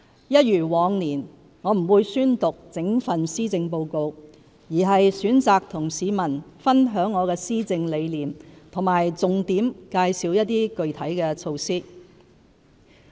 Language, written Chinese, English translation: Cantonese, 一如往年，我不會宣讀整份施政報告，而是選擇與市民分享我的施政理念和重點介紹一些具體措施。, As in last year I prefer sharing with Hong Kong people my governance philosophy and highlighting some of the specific measures to reading out the whole Policy Address